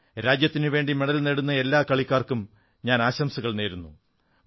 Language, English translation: Malayalam, I wish to congratulate all players who have won medals for the country